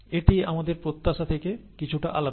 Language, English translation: Bengali, This is slightly different from what we expect